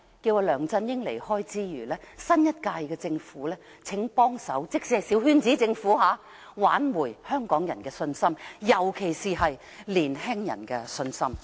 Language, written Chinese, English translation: Cantonese, 在梁振英離開之餘，新一屆政府即使是小圈子政府，也請幫忙挽回香港人的信心，尤其是年青人的信心。, After the departure of LEUNG Chun - ying may I call on the Government of the new term even if it is a coterie Government can assist in restoring the confidence of the people of Hong Kong especially the young people